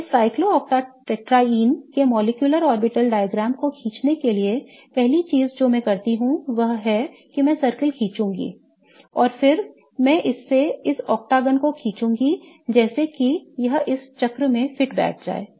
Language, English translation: Hindi, So, in order to draw the cyclo octa tetraein's molecular orbital diagram, the first thing I will do is I will draw the circle and then I will draw this octagon such that it fits into this circle